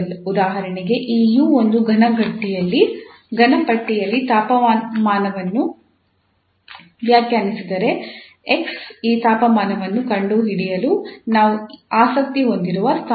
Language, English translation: Kannada, For example if this u define the temperature in a solid bar then the x is the position where we are interested getting this temperature, so for example this is the position x